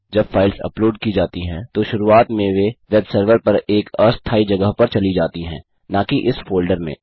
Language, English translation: Hindi, When the files are uploaded initially they go into a temporary area on the web server and NOT into this folder